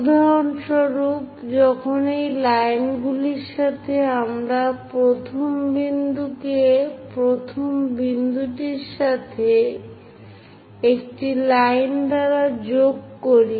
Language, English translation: Bengali, When these lines; for example, let us pick this one, 1st point and 1st point join them by a line